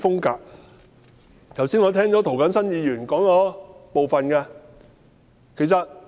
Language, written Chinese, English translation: Cantonese, 剛才我聽到涂謹申議員提到一部分，我亦有同感。, I have just listened to certain views of Mr James TO on this point and I agree with him